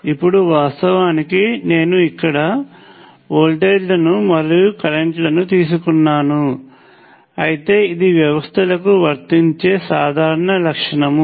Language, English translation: Telugu, Now of course, I have taken voltages and current here, but this is the general property that can be applied to systems